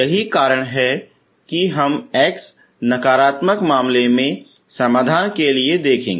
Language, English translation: Hindi, So that is why we look for solutions in the x negative case